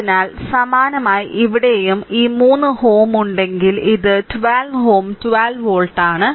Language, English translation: Malayalam, So, similarly here also if you have this 3 ohm and this is 12 ohm 12 volt